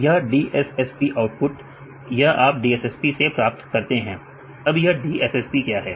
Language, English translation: Hindi, This DSSP output this you obtain from DSSP what is DSSP